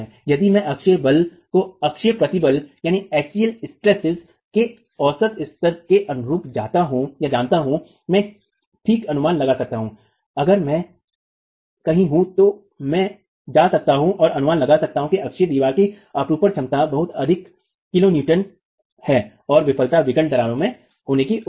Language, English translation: Hindi, If I know the axial force corresponding to the average level of axial stress, I will be able to estimate, okay, so I am somewhere there, I can go and estimate that the axial, the shear capacity of the wall is so much kiloons and the failure is expected to be in diagonal cracking